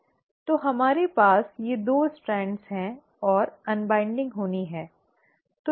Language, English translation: Hindi, So we have these 2 strands and the unwinding has to happen